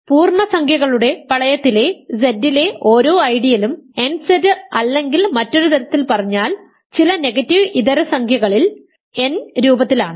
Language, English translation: Malayalam, So, this is the exactly like the statement I proved: every ideal in Z the ring of integers is of the form nZ or n in other words for some non negative integer right